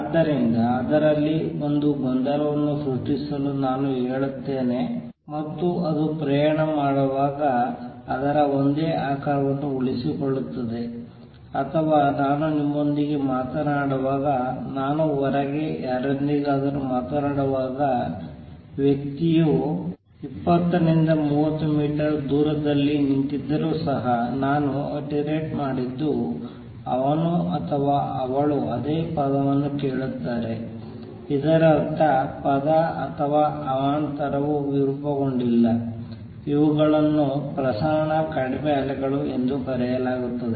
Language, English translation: Kannada, So, I kind of let say create a disturbance in it and as a travels it retains the same shape or when I am talking to you, when I am talking to somebody outside, even if the person is standing 20 30 meters away, if I have attired a word he hears or she hears the same word; that means, the word or the disturbance is not gotten distorted these are called dispersion less waves